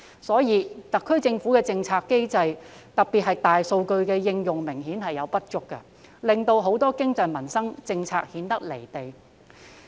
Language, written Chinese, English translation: Cantonese, 因此，特區政府的政策機制明顯有所不足，特別是在大數據的應用方面，令很多經濟及民生政策顯得"離地"。, Hence there are obviously deficiencies in the policy mechanism of the SAR Government especially in respect of the application of big data which resulted that many of our economic and livelihood policies are seemingly divorced from reality